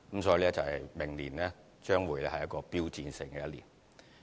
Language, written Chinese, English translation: Cantonese, 所以，明年將會是標誌性的一年。, Therefore it will be an iconic year for Hong Kong next year